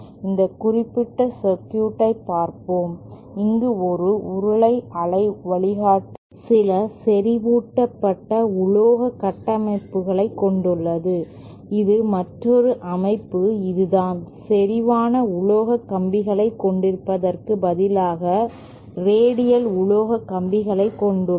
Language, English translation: Tamil, Let us see this particular circuit, this is a cylindrical waveguide with some concentric metal structures present here and this is another structure which has instead of having concentric metal wires, we have radial metal wires